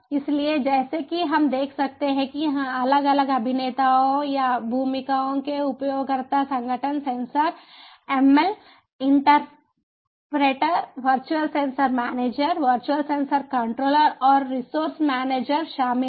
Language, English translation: Hindi, so, as we can see over here, the different actors or roles include user organization, sensor ml interpreter, virtual sensor manager, virtual sensor controller and resource manager